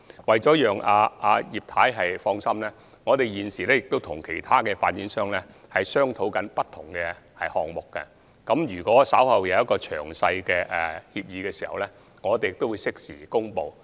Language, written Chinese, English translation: Cantonese, 為了讓葉劉淑儀議員放心，我們現時也正在跟其他發展商商討不同項目，稍後在有詳細協議時，我們會適時公布。, Mrs Regina IP can rest assured that various projects are also under discussion with other developers . We will announce in due course when detailed agreement is reached